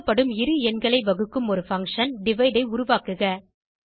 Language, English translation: Tamil, And Create a function divide which divides two given numbers